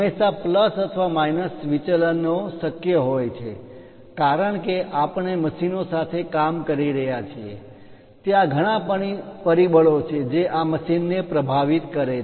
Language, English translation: Gujarati, There are always be plus or minus deviations possible, because we are dealing with machines, there are many factors which influences this machine